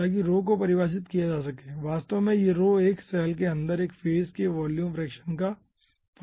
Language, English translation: Hindi, actually this rho will be function of volume fraction of 1 phase inside a cell